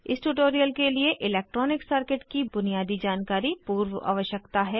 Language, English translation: Hindi, Basic knowledge of electronic circuit is pre requisite for this tutorial